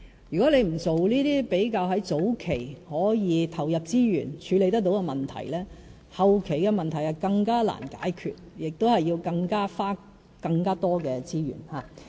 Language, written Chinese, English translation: Cantonese, 如果不做這些比較在早期可以投入資源處理得到的問題，後期的問題就更難解決，亦要花更多資源。, If we do not confront those problems which can in fact be tackled by resource investment at the early stage they will turn more difficult to resolve at later stage demanding even greater resources